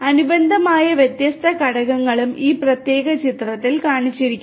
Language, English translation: Malayalam, And the corresponding different components are also shown over here in this particular figure